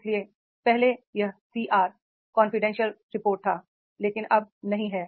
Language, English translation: Hindi, So earlier it was CR confidential report but not now